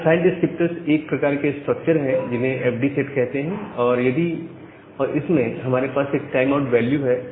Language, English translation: Hindi, So, this file descriptors are a kind of structure called fd set and we have a timeout value